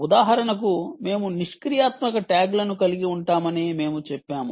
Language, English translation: Telugu, for instance, we said we will be having passive tags, your passive tags, you have active tags